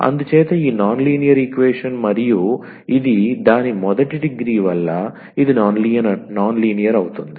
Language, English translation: Telugu, So, this is a non linear equation and its a first degree, but it is a non linear